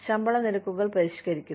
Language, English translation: Malayalam, Revises the pay rates